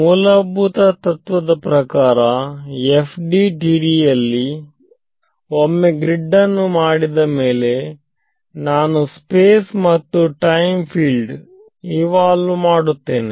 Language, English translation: Kannada, So, one of the sort of basic principles in FDTD is that once I get the once I make this grid I am going to evolve the field in space and time